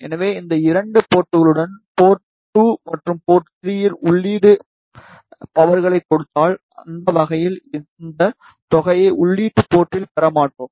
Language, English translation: Tamil, So, if we give input power at these two ports port 2 and port 3, then in that way we will not get this sum at input port